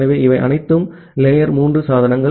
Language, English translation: Tamil, So, all these are the layer three devices